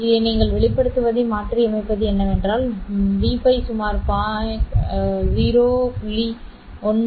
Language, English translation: Tamil, Substituting this into the expression, what you will find is that v pi is given by roughly about 0